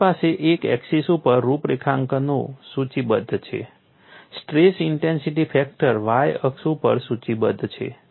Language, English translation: Gujarati, You have configurations listed on one axis, stress intensity factor is rested on the y axis